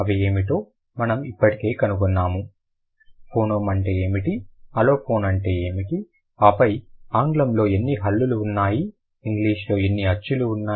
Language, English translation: Telugu, We did find out what are the, what is a phoeneme, what is an aliphon, and then how many consonant sounds are there in English, how many vowel sounds are there in English